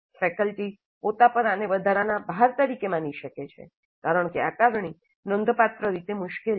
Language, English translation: Gujarati, And faculty itself may find this as an overload because the assessment is considerably more difficult